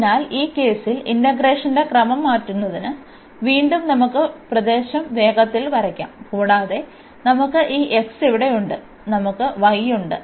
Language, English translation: Malayalam, So, changing the order of integration in this case again let us quickly draw the region, and we have this x here and we have y